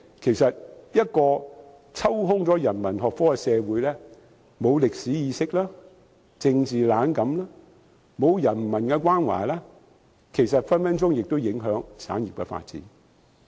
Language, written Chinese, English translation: Cantonese, 然而，一個欠缺人文學科的社會會沒有歷史意識，政治冷感，沒有人文關懷，亦很可能影響產業的發展。, A society without humanities studies lacks a historical perspective suffers from political apathy and lacks human care; all these may affect the development of industries